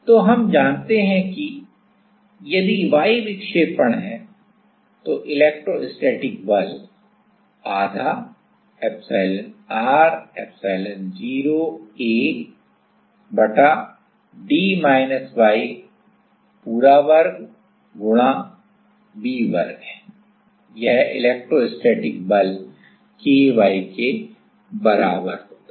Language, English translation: Hindi, So, we know that; if the y is the deflection then the electrostatic force half epsilon r epsilon0 A divided by d minus y whole square into V square right this is the electrostatic force is equals to K y